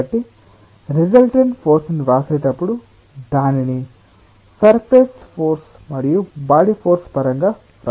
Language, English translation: Telugu, so when we write the resultant force will write it in terms of the surface force and body force